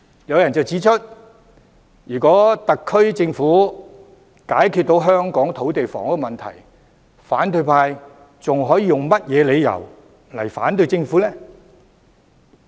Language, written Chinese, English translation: Cantonese, 有人指出如果特區政府能解決香港的土地房屋問題，反對派還有何理由反對政府呢？, According to some if the SAR Government can resolve the land and housing problems of Hong Kong on what grounds can the opposition camp still oppose the Government?